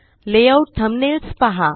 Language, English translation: Marathi, Look at the layout thumbnails